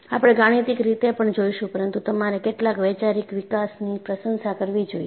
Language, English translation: Gujarati, We would see mathematics as well, but you should also appreciate some of the conceptual development